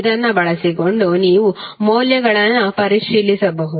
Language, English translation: Kannada, So this you can verify the values